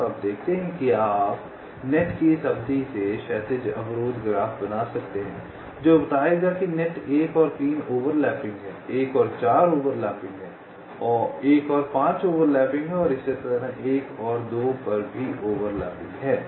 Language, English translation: Hindi, so you see, from these span of the nets you can create the horizontal constraint graph which will tell net one and three are over lapping, one and four are over lapping, one and five are over lapping, and so on